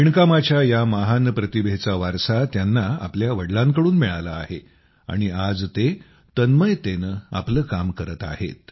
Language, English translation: Marathi, He has inherited this wonderful talent of weaving from his father and today he is engaged in it with full passion